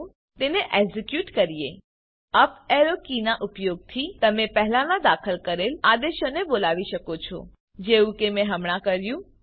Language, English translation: Gujarati, Let us execute it again You can recall the previously entered commands by using up arrow key That is what I did now